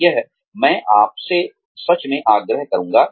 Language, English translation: Hindi, That, I would really urge you to do